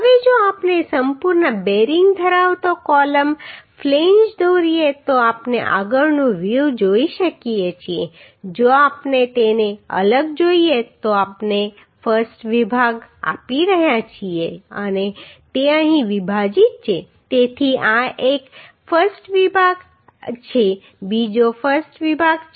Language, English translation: Gujarati, Now if we draw the a column flange having complete bearing we can see the front view if we see separate them to we are providing a I section and it is spliced here so this is a I section another I section is there